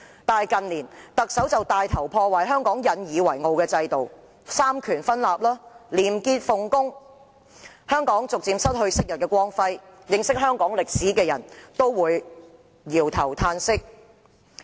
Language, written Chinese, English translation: Cantonese, 反之，近年特首帶頭破壞香港引以為傲的制度、三權分立和廉潔奉公，香港逐漸失去昔日的光輝，認識香港歷史的人都會搖頭歎息。, In contrast in recent years the Chief Executive has taken the lead in destroying the system the separation of powers and probity and integrity in which we have taken pride . Hong Kong has gradually lost its past glory . Those who know Hong Kongs history will shake their heads and sigh